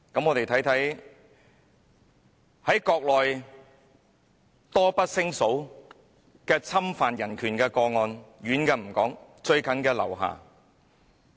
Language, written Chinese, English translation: Cantonese, "我們看看在國內多不勝數的侵犯人權個案，我不說遠的，最近的是劉霞。, Let us look at the countless cases of infringement on human rights in the Mainland . I will not talk about those which happened long ago . The most recent one is the case of LIU Xia